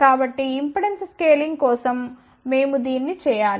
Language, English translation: Telugu, So, this we need to do for impedance scaling